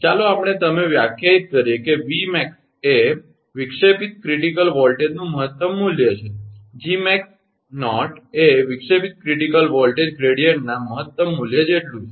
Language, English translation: Gujarati, Let us you define, the Vmax is the maximum value of the disruptive critical voltage, and Gmax superscript 0 Gmax 0 is equal to maximum value of disruptive critical voltage gradient